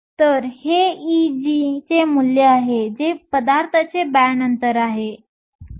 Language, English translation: Marathi, So, this is the value of E g, which is the band gap of the material